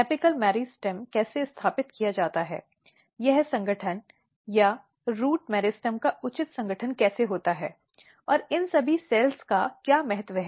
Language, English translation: Hindi, So, the first thing is that how the apical meristem is established, how this organization or proper organization of the root meristem takes place, and what is the importance of all these cells